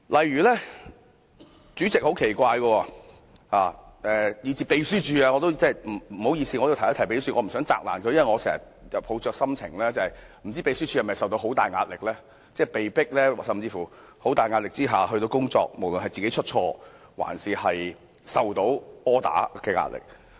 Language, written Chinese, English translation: Cantonese, 對不起要提到秘書處，因我也不想責難秘書處，但我經常會想，秘書處是否承受了很大壓力，被迫在極大壓力下工作，無論是要避免出錯還是收到 order 的壓力。, I am sorry that I have to mention the Secretariat since I do not want to put the blame on the Secretariat . However I always wonder whether the Secretariat has been put under immense pressure and forced to do its job under tremendous pressure be it the pressure to avoid making mistake or the pressure comes from the orders it has received